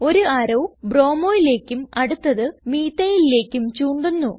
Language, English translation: Malayalam, One arrow moves to bromo and other arrow moves towards methyl